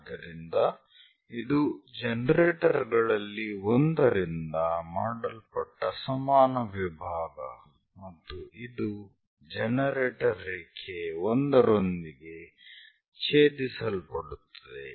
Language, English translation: Kannada, So, equal division made by one of the generator is this one intersecting with generator line 1